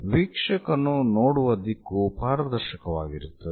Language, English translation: Kannada, The observer direction is transparent